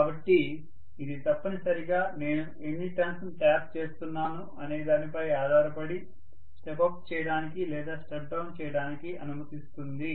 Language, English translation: Telugu, So this essentially will allow me to step up or step down depending upon how many turns I am tapping